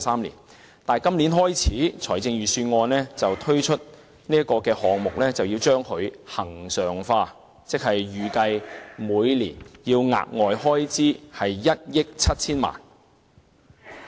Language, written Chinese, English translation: Cantonese, 然而，本年度的財政預算案建議，自今年起，將這項交流計劃恆常化，預計每年額外開支為1億 7,000 萬元。, Yet this years Budget proposes to regularize the Pilot Scheme starting from this year which will involve an additional recurrent expenditure of 170 million per year